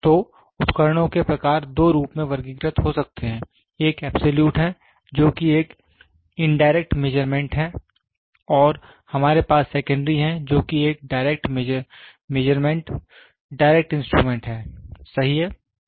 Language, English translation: Hindi, So, the type of instruments can be classified as two; one is absolute, which is an indirect measurement and we have secondary which is a direct measurement direct instrument, right